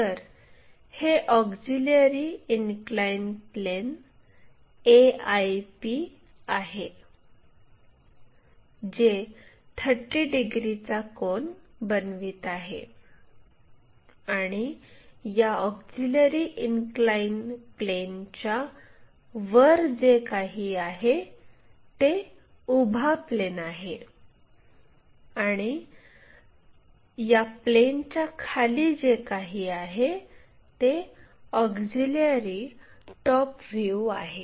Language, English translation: Marathi, This is the auxiliary inclined plane which is making an angle of 30 degrees and anything above this auxiliary inclined plane is vertical plane, anything below is auxiliary top view we will get